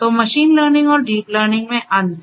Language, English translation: Hindi, So, difference between machine learning and deep learning